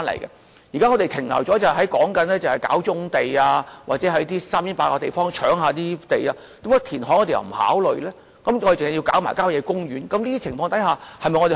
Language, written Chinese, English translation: Cantonese, 現時我們是停留在"搞棕地"或在偏遠地方"搶地"的情況，政府為何不考慮填海，而要"搶"郊野公園的土地？, But we now limit ourselves to brownfield sites and land - snatching in remote localities . Why does the Government seek to snatch the lands in country parks rather than considering the option of reclamation?